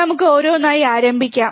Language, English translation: Malayalam, Let us start one by one